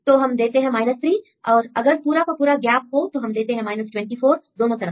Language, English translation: Hindi, So, we give 3, if you completely gap, then we gives this 24 up to the both ways